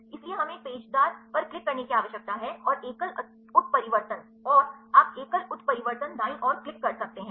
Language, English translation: Hindi, So, we need to a click on a helical and the single mutation and, you can click on the single mutation right